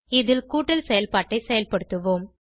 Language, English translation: Tamil, In this we will perform addition operation